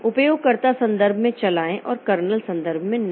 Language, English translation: Hindi, Run in user context and not kernel context